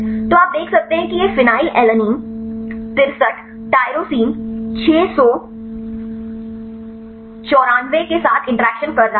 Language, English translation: Hindi, So, you can see these phenylalanine 63 is interacting with tyrosine 694